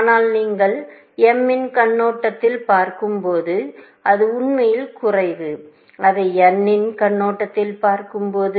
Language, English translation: Tamil, But when you see from m’s perspective, it is actually less and when you see it from n’s perspective